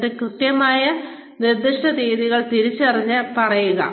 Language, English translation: Malayalam, And then identify, exact specific dates, and say